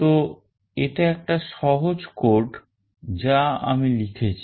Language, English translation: Bengali, So, this is a simple code that I have written